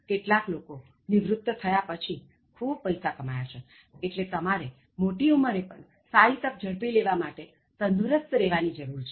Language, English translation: Gujarati, Some people have earned a huge amount of money after the retirement, so you need to be healthy, to snatch good opportunities till the ripe old age